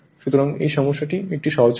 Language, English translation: Bengali, So, this problem is a simple problem